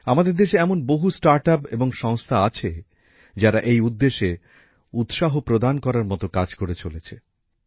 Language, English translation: Bengali, There are also many startups and organizations in the country which are doing inspirational work in this direction